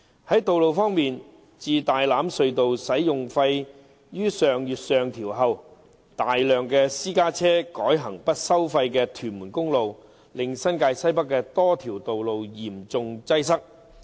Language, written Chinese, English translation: Cantonese, 在道路方面，自大欖隧道使用費於上月上調後，大量私家車改行不收費的屯門公路，令新界西北多條道路嚴重擠塞。, As for roads since the rise of Tai Lam Tunnel tolls last month a large number of private cars have shifted to the non - tolled Tuen Mun Road thereby causing serious congestion on a number of roads in NWNT